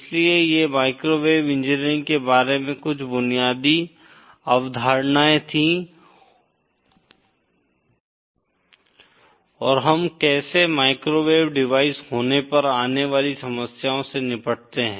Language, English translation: Hindi, So these were some basic concepts about microwave engineering and how we deal with the problems that come up when we have microwave devices